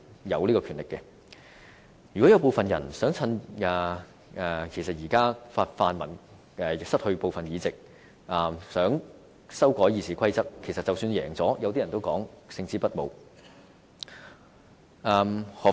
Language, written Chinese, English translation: Cantonese, 如果有人想趁現在泛民失去部分議席而修改《議事規則》，即使贏了也會予人勝之不武的感覺。, If someone seeks to take advantage of the pan - democrats losing of some seats to amend RoP even though the RoP is successfully revised as proposed this is essentially inglorious